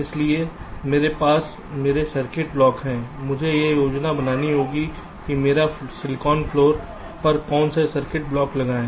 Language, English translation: Hindi, i have to make a planning where to put which circuit blocks on my silicon flow floor